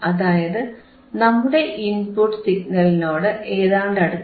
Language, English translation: Malayalam, 8 which is close to our input signal right